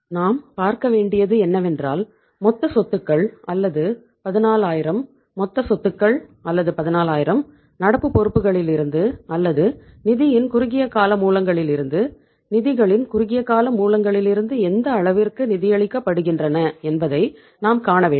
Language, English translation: Tamil, So we will have to see that the total assets or the 14000, total assets or the 14000 to what extent they are financed from the current liabilities or from the short term sources of the funds, short term sources of the funds